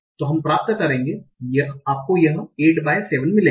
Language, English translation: Hindi, So you get as 8 by 7